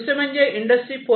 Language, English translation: Marathi, So, Industry 4